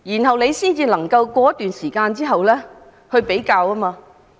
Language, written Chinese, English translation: Cantonese, 這樣便可以在一段時間後作出比較。, In this way comparisons can be made after a period of time